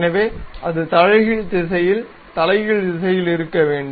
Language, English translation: Tamil, So, it should be in the reverse direction, reverse direction